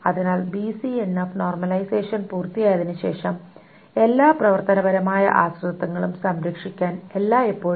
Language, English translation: Malayalam, So after the BCNF normalization is done, it is not always that one can preserve all the functional dependencies